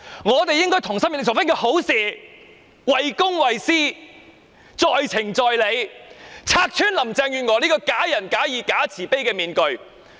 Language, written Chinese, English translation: Cantonese, 我們應該同心協力做一件好事，為公為私，在情在理，拆穿林鄭月娥這個假仁假義、假慈悲的面具。, We should work together to make this good thing happen in the interest of ourselves and the public as it is reasonable and justifiable to do so . As such we will tear off Carrie LAMs hypocritical mask